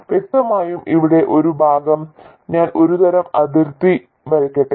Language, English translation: Malayalam, Obviously this part here let me draw some sort of a boundary